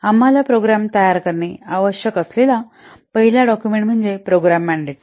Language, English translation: Marathi, The first document that we require to create a program is program mandate